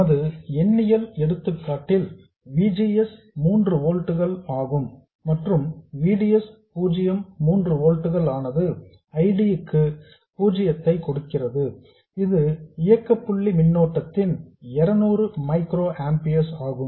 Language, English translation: Tamil, And in our numerical example, VGS 0 was 3 volts and VDS 0 was 3 volts which gave an ID 0 the operating point current of 200 microamperes